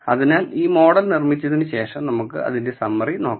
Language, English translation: Malayalam, So, after having built this model I am going to look at the summary of it